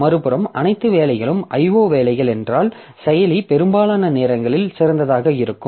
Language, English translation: Tamil, On the other hand if there are not all the jobs are of type IO jobs then the processor will be idle most of the time